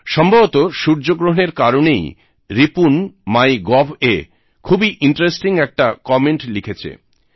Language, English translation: Bengali, Possibly, this solar eclipse prompted Ripun to write a very interesting comment on the MyGov portal